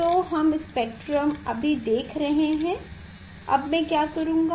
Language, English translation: Hindi, this type of spectrum we are seeing now what I will do